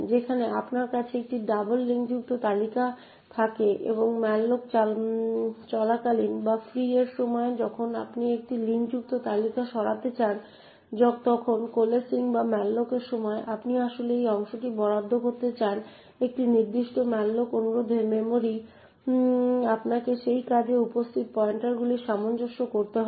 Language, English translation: Bengali, list type of operation where do you have a double linked list and during the malloc or during the free when you want to remove a linked list during coalescing or during malloc when you actually want to allocate this chunk of memory to a particular malloc request you will have to adjust the pointers present in this job, so essentially the forward pointer and the backward pointer should be appropriately corrected